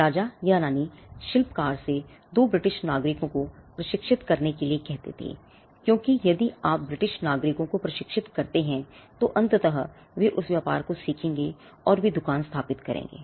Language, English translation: Hindi, The king or the queen would ask the craftsman to train 2 British nationals, because if you train to British nationals eventually, they will learn the trade they will set up shop